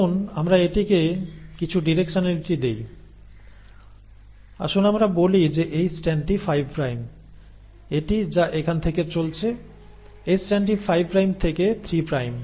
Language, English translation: Bengali, And let us look at, let us give it some directionality, let us say this strand is 5 prime, this one which is going all the way from here, this strand is a 5 prime to 3 prime